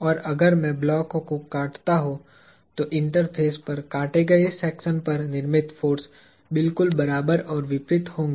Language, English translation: Hindi, And if I cut the block, the forces created at the interface – at the cut section would be exactly equal and opposite